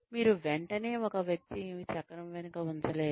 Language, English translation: Telugu, You cannot immediately, put a person, behind the wheel